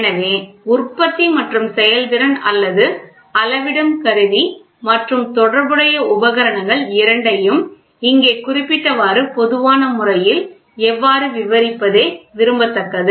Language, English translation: Tamil, So, it is desirable to describe both the operation how the manufacture and the performance or the measuring instrument and associated equipment in a generalized way rather than a specific